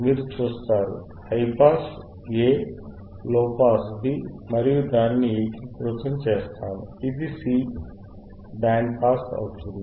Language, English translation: Telugu, You see, high pass aA, low pass bB, we integrate it, we join it becomes C which is band pass